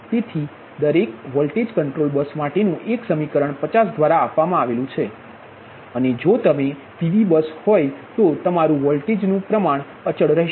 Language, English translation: Gujarati, and one equation for each voltage control bus, given equation fifty, and if it is a pv bus, your voltage magnitude will remain constant, right